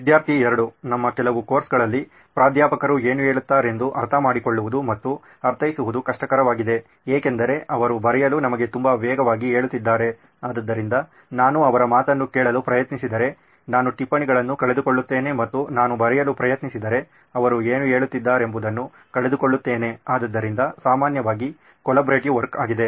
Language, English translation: Kannada, Well in few of our courses actually it is kind of difficult to understand and interpret what the Professor is saying because he is saying it way too fast for us to write down, so if I try to listen to him I miss out the notes and if I try to write I miss out what he is saying, so generally a collaborative work